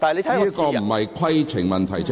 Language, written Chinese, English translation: Cantonese, 這不是規程問題。, This is not a point of order